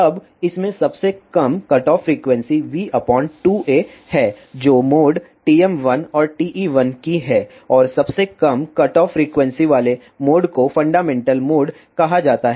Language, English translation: Hindi, Now, in this the lowest cutoff frequency is v by 2 a which is of mode TM 1 and TE 1 and the mode with lowest cutoff frequency is called as fundamental mode